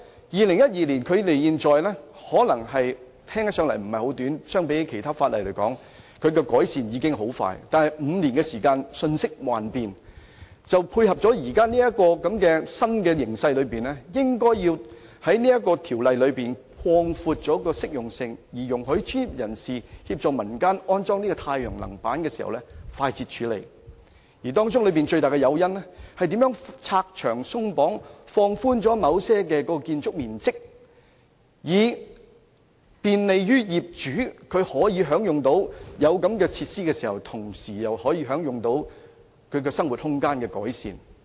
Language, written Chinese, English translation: Cantonese, 2012年至今，聽起來可能時間不算長，相比其他法例，這項規例已很快作出改善，但5年過去，世界瞬息萬變，為配合現有新形勢，政府應放寬這項《規例》的適用性，容許專業人士協助民間安裝太陽能板時可以快捷地處理，而最大的誘因是如何拆牆鬆綁，政府可以在某些情況下放寬建築面積，以利便業主，使他們既能享用有關設施，又可同時在生活空間得到改善。, To tie in with the new developments nowadays the Government should relax the applicability of the Regulation so that the professionals can more expediently handle the installation of photovoltaic systems in the community . The biggest incentive lies in the removal of various regulations and restrictions . The Government can under certain circumstances relax the requirements in respect of gross floor area for the convenience of building owners so that they can enjoy the relevant facilities while at the same time improvement can be made to their living space